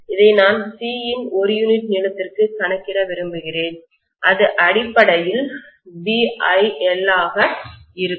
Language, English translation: Tamil, I want to calculate it per unit length of C, will be BiL basically